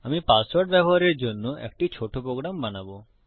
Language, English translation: Bengali, Ill create a little program for a password access